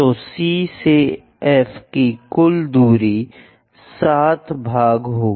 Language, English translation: Hindi, So, total distance C to F will be 7 part